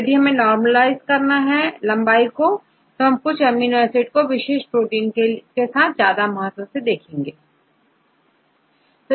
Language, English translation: Hindi, So, if you normalized with the length then you can see whether any preference of amino acid residues in any particular protein of different lengths